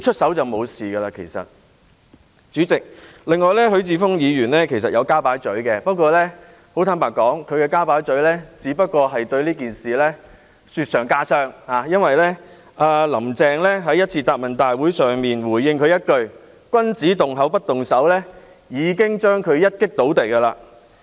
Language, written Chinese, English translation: Cantonese, 代理主席，許智峯議員亦有加入討論，但坦白說，他的加入只會令這件事雪上加霜，因為"林鄭"在某次答問會上回應他一句："君子動口不動手"，已經將他"一擊倒地"。, Deputy President Mr HUI Chi - fung has also joined the discussion but frankly his participation would only make the matter worse . It is because Carrie LAM defeated him right away by simply responding to him that gentleman uses his tongue but not his fists during a Question and Answer Session . As the saying goes If ones personal conduct is not correct how can he correct others?